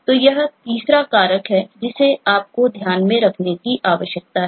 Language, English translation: Hindi, so these factors, eh, this is the third factor that you need to keep in mind